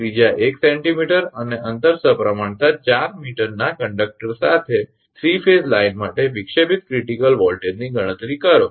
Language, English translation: Gujarati, Calculate the disruptive critical voltage for a 3 phase line with conductors of radius 1 centimetre and spaced symmetrically 4 meter apart